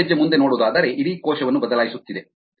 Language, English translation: Kannada, the further is changing the entire cell